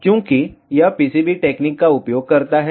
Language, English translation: Hindi, Since, it uses of PCB technology